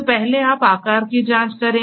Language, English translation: Hindi, So, first you check the shape